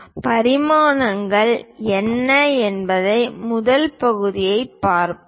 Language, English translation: Tamil, Let us look at the first part what are dimensions